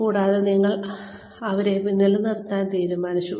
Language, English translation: Malayalam, And, you have decided to keep them